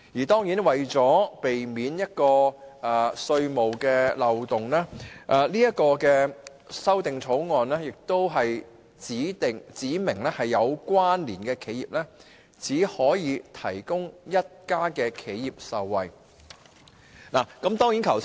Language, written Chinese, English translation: Cantonese, 當然，為了避免稅務漏洞，《條例草案》亦指明有關連企業只可有一家企業受惠。, Of course in order to avoid tax loopholes the Bill also stipulates that among connected enterprises only one can benefit